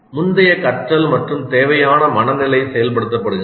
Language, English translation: Tamil, So the prior learning and the required mental are activated